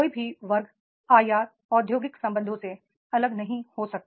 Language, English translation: Hindi, Any section cannot isolate with the IR industrial relations